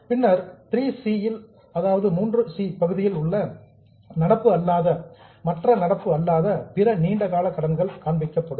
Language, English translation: Tamil, Then the item C, 3C, is other non current, other long term liabilities